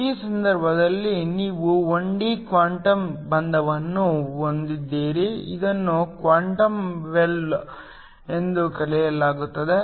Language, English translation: Kannada, In this case, you have 1D quantum confinement this is called Quantum well